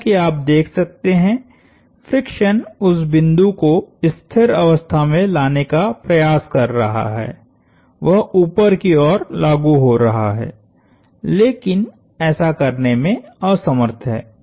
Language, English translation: Hindi, Friction as you can see is trying to bring that point to rest, it is acting upwards, but it is unable to